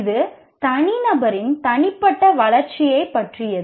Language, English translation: Tamil, This deals with the personal development of the individual